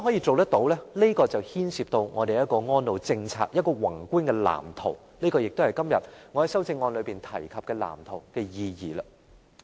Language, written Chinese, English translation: Cantonese, 這牽涉我們的安老政策必須有一個宏觀的藍圖，這也是我今天在修正案中提及的藍圖的意義。, This involves a macroscopic blueprint in our elderly care policy and this is also the meaning of blueprint that I mentioned in my amendment today